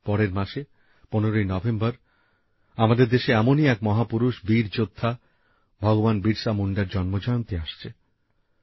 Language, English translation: Bengali, Next month, the birth anniversary of one such icon and a brave warrior, Bhagwan Birsa Munda ji is falling on the 15th of November